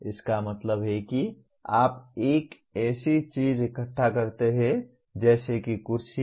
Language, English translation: Hindi, That means you collect a like take something like chairs